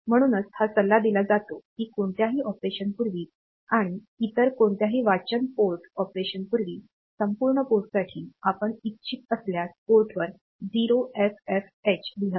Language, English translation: Marathi, So, it is advisable that before any in operation; before any read port operation, you do a right port with the value 0FFH